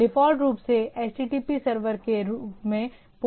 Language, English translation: Hindi, By default, as the as the HTTP server this is to port 80